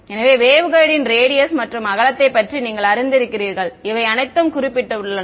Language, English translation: Tamil, So, they have a you know the width of the waveguide radius all of these have been specified